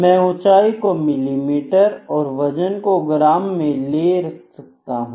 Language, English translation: Hindi, So, I can use a height may be is in mm weight is in grams